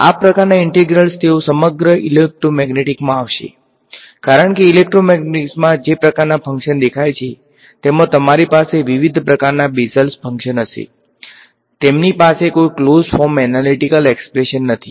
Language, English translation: Gujarati, These kind of integrals they appear throughout electromagnetics because, the kinds of functions that appear in electromagnetics you will have Bessel functions of various kinds, they do not have any close form analytical expression